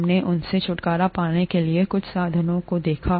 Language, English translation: Hindi, We looked at some means of getting rid of them